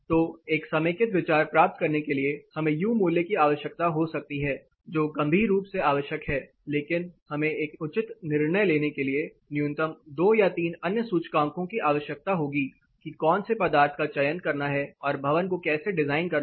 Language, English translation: Hindi, So, you know to get a consolidated idea we might need U value which is critically essential, but we also need 2 or 3 other numbers minimum to take a proper decision on which material to choose and actually how to design our building by itself